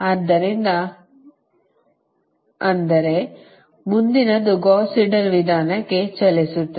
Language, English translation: Kannada, so, but next will move to the gauss seidel method